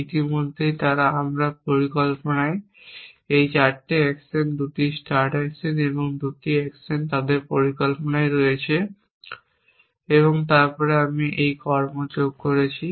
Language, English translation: Bengali, Already they in my plan this 4 actions the 2 start actions and the this 2 actions at for they in plan